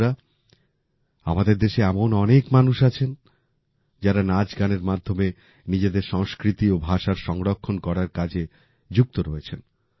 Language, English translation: Bengali, Friends, there are many people in our country who are engaged in preserving their culture and language through songs and dances